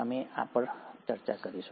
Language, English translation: Gujarati, We’ll come to this